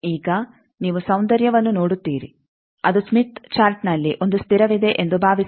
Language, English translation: Kannada, Now, you see the beauty that suppose, I have in a smith chart a constant